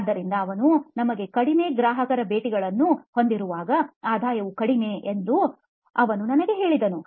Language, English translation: Kannada, So he told me that when we have fewer customer visits, the revenue is low